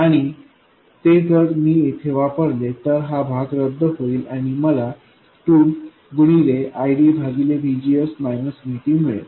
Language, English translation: Marathi, And if I substitute that in here, this part will get cancelled out and I will get 2 times ID divided by VGS minus VT